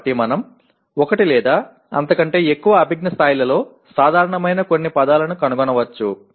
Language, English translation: Telugu, So we may find some words which are common across one or more maybe two of the cognitive levels